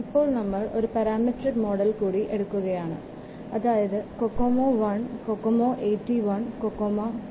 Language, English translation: Malayalam, So, now we will take up one more parametric model, that is the Kocomo 1 and Kokomo 81 and Kokomo 2